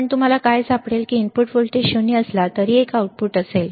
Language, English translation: Marathi, But what you will find is that even though the input voltage is 0, there will be an output